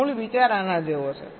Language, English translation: Gujarati, the basic idea is like this